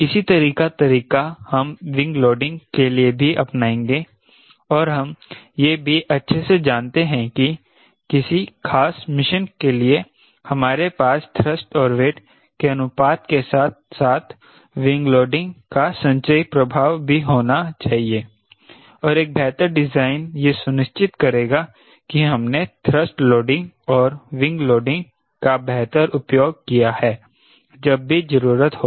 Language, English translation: Hindi, similar approach will also have on wing loading and knowing very well for a particular mission operations ah mission we need to have a cumulative effect of thrust towards ratio as well as wing loading, and a better design will ensure that we have optimally used both this thrust loading and wing loading smartly